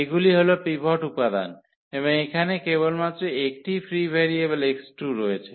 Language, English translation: Bengali, These are the pivot elements and the free variable we have only one that is here x 2